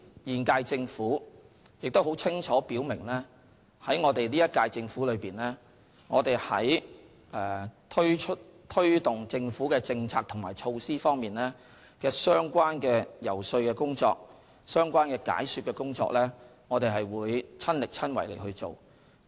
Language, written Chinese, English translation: Cantonese, 現屆政府亦很清楚表明，本屆政府在推動政府政策及措施方面的相關遊說、解說工作，我們會親力親為去做。, The current - term Government has also made it very clear that we ourselves will do all the lobbying and explanation when taking forward the Governments policies and measures